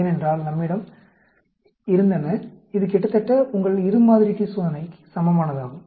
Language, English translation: Tamil, So, we looked at two samples, equivalent to two sample t test